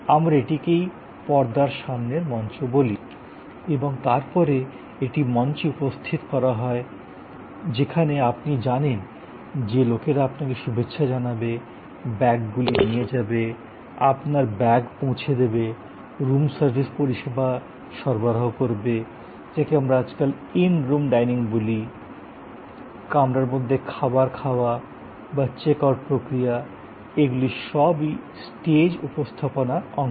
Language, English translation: Bengali, Now, all these are happening in the visible domain, this is what we call the front stage and then that is set of on stage, where you know people where greeting you, taking your bags, your delivery of the bags, delivery of the room service or what we call these days, in room dining, food in a room or the process of check out, these are all part of the on stage